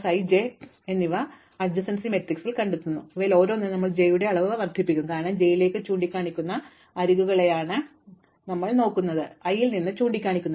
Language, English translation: Malayalam, For each vertex we look at each neighbour i, j and the adjacency list and for each of these we increment the indegree of j, because we are looking at edges pointing into j, not pointing out of i